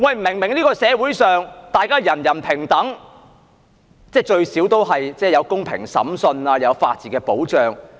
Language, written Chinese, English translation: Cantonese, 明明在這個社會上，大家人人平等，即至少也有公平審訊，亦有法治保障。, The fact is everyone is equal in this society that is there are at least fair trials and protection by the rule of law